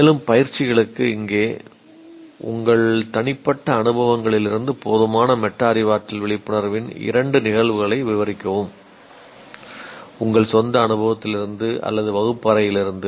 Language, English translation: Tamil, And here for exercises, describe two instances of inediquate metacognitive awareness from your personal experiences, your own or in the classroom